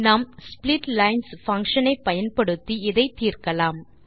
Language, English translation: Tamil, We use the function split lines to solve this problem